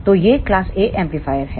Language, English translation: Hindi, So, this is class A amplifier